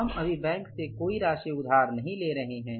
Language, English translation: Hindi, We are not borrowing any amount from the bank in this case